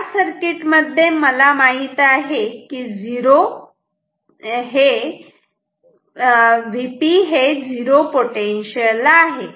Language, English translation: Marathi, So, this is the circuit I know this is at 0 potential